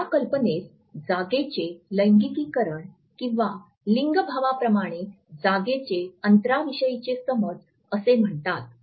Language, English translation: Marathi, This idea is known as genderization of the space or space genderization